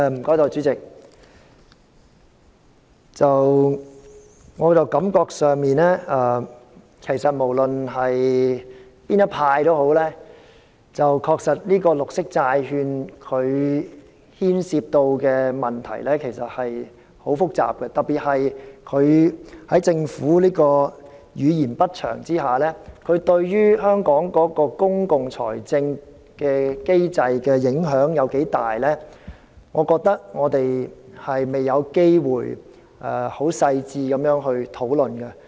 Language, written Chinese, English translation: Cantonese, 代理主席，我感覺上不論是哪一派的議員都認為綠色債券牽涉的問題很複雜，特別在政府語焉不詳的情況下，對香港公共財政的機制的影響有多大，我認為我們未有機會進行細緻的討論。, Deputy President I have the feeling that all Members disregarding their political affiliations consider that green bonds involve very complicated issues and particularly when the Government has not given a detailed explanation I think there has yet been an opportunity for us to discuss in detail the question of how substantially Hong Kongs public finance system will be affected